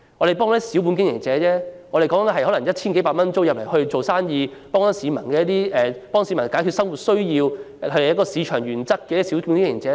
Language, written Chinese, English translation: Cantonese, 這些都是小本經營者，每個月繳交 1,000 多元租金在此做生意，為市民解決生活所需，是符合市場原則的小本經營者。, These commercial tenants are running their business on a shoestring . After paying a monthly rent of 1,000 odd they operate their business which meets the daily life needs of the general public . Their small business is operated according to free market principles